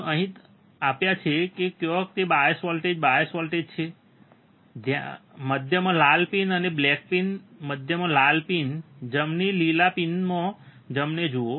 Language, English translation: Gujarati, You have applied here where are the bias voltage bias voltage is here, you see the red pin and black pin in the center in the center red pin, right in green pin, right